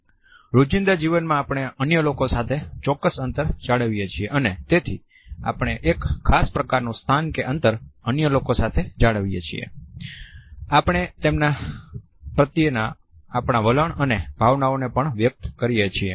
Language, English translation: Gujarati, In everyday life we maintain certain distance with other people and therefore, we maintain a particular type of a space and distance with others, we also communicate our attitudes and feelings towards them